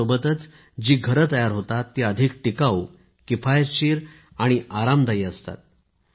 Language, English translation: Marathi, Along with that, the houses that are constructed are more durable, economical and comfortable